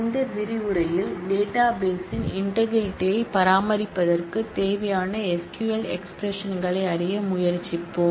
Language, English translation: Tamil, In this module, we will try to learn SQL expressions that are responsible for maintaining in the integrity of the database